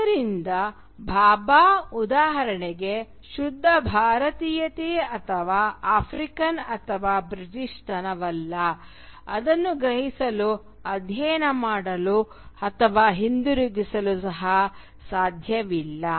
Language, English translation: Kannada, So for Bhabha, there is for instance no pure Indianness or Africanness or Britishness that can be grasped, studied, or even returned too